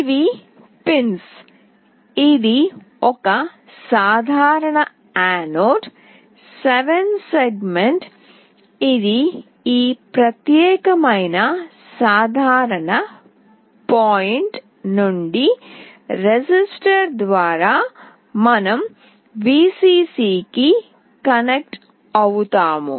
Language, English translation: Telugu, This is a common anode 7 segment, this from this particular common point through a resistor we will be connecting to Vcc